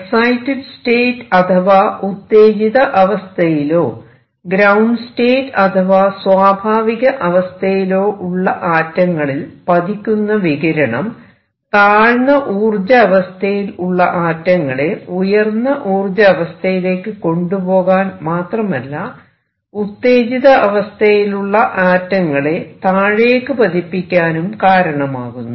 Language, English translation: Malayalam, Radiation falling on atoms some of which are exited and some of which are in the ground state lower energy state can not only take them to the upper state it can also make the atoms in the upper state come down